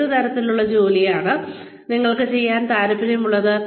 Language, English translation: Malayalam, What kind of work, do you want to do